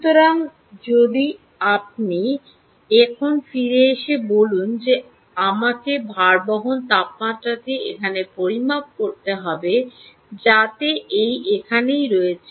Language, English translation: Bengali, so if you now come back and say, ok, i have to measure the, the, ah, um, the bearing temperature which is here